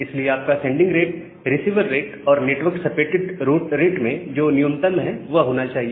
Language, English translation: Hindi, So that is why your sending rate should be minimum of the receiver rate and the network supported rate